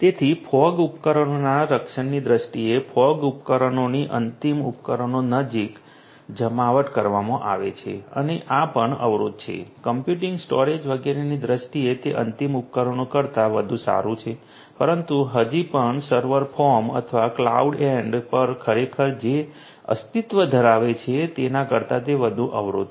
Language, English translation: Gujarati, So, in terms of protection of the fog devices; fog devices are deployed near to the end devices and are also you know these are also constrained you know it is better than better than the end devices in terms of computing storage etcetera, but still it is more constraint than what actually exists at the server form or the cloud end